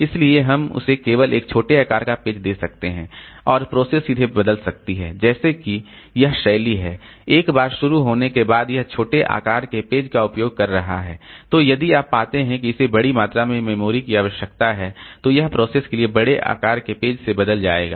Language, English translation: Hindi, So, we can give it only a small page size and the process may change its style like once it starts maybe it is using small page size, then if we find that it is requiring large amount of memory, then we will be changing over to larger page size for the process